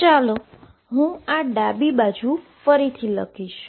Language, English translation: Gujarati, So, let me write this left hand side again